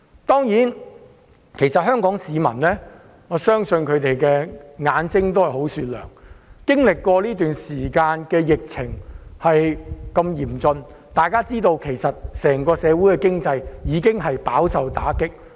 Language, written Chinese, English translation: Cantonese, 當然，我相信香港市民的眼睛是雪亮的，這段時間經歷過如此嚴峻的疫情，整體社會經濟已飽受打擊。, Of course I believe that Hong Kong people have discerning eyes . After experiencing such a critical epidemic in recent times our community and economy as a whole have been battered